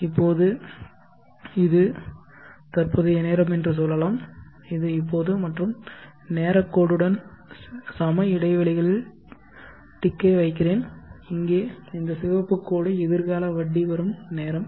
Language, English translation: Tamil, Now let us say this is the present time, this is now and along the time line let me put the equi space ticks and this red line here is a future time of interest